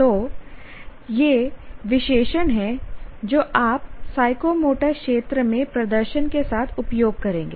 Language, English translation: Hindi, So these are the words are adjectives that you would use with the performance in psychomotor domain